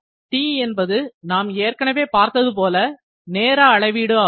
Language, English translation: Tamil, T is length of time again the same thing